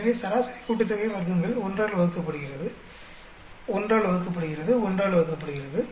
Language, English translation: Tamil, So, mean sum of squares divided by one, divided by one, divided by one